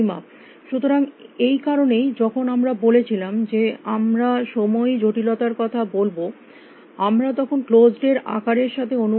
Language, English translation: Bengali, So, that is why when we said that when we talk about time complexity we will appropriate with the size of closed